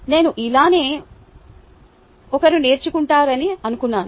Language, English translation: Telugu, i thought that was how one learns